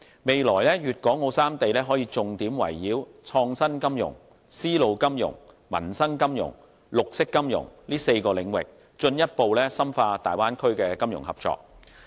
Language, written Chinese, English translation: Cantonese, 未來粵港澳三地可重點圍繞創新金融、絲路金融、民生金融、綠色金融等4個領域，進一步深化大灣區的金融合作。, In the future the three places can further deepen financial cooperation on innovative finance silk road finance livelihood finance and green finance